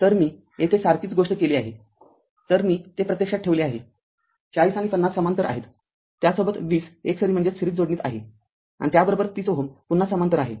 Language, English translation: Marathi, So, I have just put directly that 40 and 50 are in parallel with that 20 is in series and along with that 30 ohm again in parallel